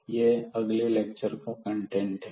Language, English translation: Hindi, So, that will be the content of the next lecture